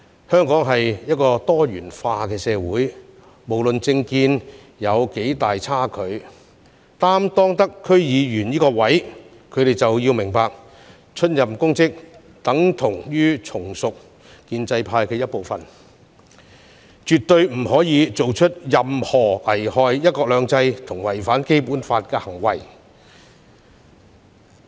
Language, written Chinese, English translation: Cantonese, 香港是一個多元化社會，無論政見有多大差距，出任區議員這個職位的人士理應明白，出任公職等同從屬建制的一部分，絕不可以做出任何危害"一國兩制"和違反《基本法》的行為。, In a pluralistic society like Hong Kong DC members may have diverse political views . Yet they should all understand that when they take up public office they become part of the establishment . They must not do anything that jeopardizes one - country two systems and violates the Basic Law